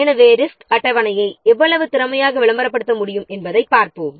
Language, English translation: Tamil, So then let's see how efficiently we can publicize the resource schedule